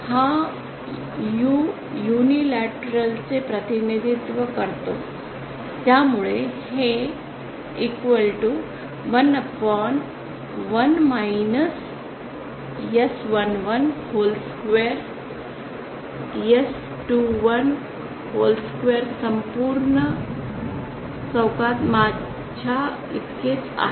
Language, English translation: Marathi, This U represents unilateral so this comes equal to I upon 1 minus S11 whole square, S21 whole square